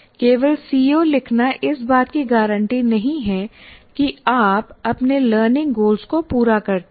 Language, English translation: Hindi, First thing is, writing COs alone doesn't guarantee that you meet your learning goals